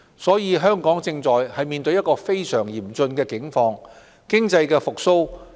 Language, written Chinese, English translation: Cantonese, 所以，香港正在面對非常嚴峻的境況。, Hong Kong is therefore in a very critical condition